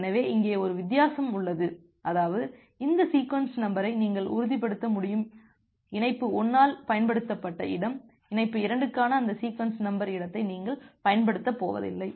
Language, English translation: Tamil, So, there is a difference here such that you will be able to ensure that this sequence number space which was been used by connection 1, you are not going to use that sequence number space for the connection 2 for the data of connection 2